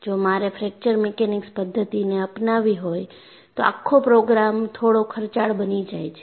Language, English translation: Gujarati, So, if I have to adopt a fracture mechanics methodology, the whole program becomes expensive